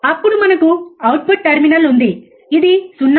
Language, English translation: Telugu, Then we have the output terminal which is 0